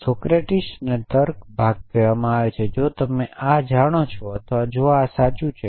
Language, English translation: Gujarati, Socrates and the logic and the reasoning part says that if you know this or if this is true